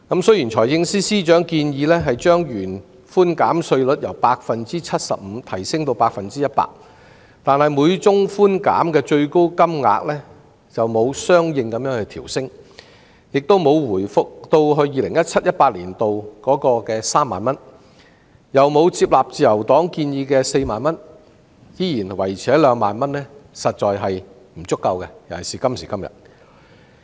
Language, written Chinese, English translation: Cantonese, 雖然財政司司長建議把稅務寬免百分比由 75% 提升至 100%， 但每宗寬免的最高金額沒有相應調升，既沒有回復至 2017-2018 年度的3萬元，亦沒有接納自由黨建議的4萬元而仍然維持在2萬元，在今時今日實在是不足夠的。, The Financial Secretary proposes to increase the percentage for tax reduction from 75 % to 100 % but the ceiling per case has not been adjusted accordingly . It has neither been restored to the level of 30,000 as in 2017 - 2018 nor to 40,000 as proposed by the Liberal Party but remains at 20,000 which is insufficient at this stage